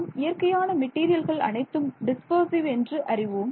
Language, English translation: Tamil, So, we all know that most natural materials are dispersive right